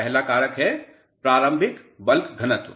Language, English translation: Hindi, The first factor is initial bulk density